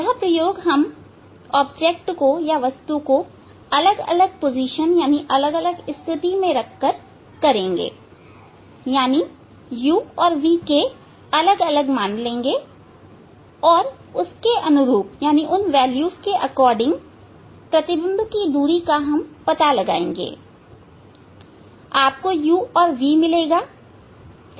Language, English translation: Hindi, that experiment to we will do for different position of the object means for different u value object distance and corresponding image distance we will find out and you will get u and v